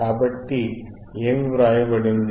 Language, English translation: Telugu, So, what is ray written